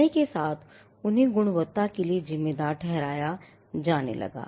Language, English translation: Hindi, Over a period of time, they came to be attributed to quality